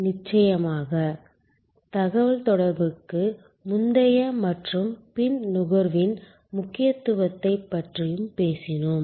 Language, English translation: Tamil, And of course, we have also talked about the importance of communication pre as well as post consumption